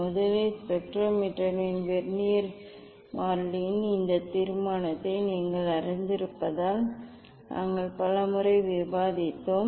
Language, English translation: Tamil, first as the you know this determination of the Vernier constant of spectrometer all we have discuss many times